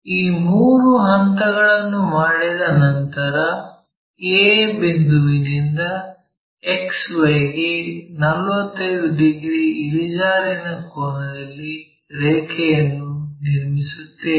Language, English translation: Kannada, Once these three steps are done we will draw a line 45 degrees incline to XY from a point a